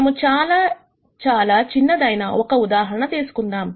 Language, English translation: Telugu, So, let us take a very, very simple example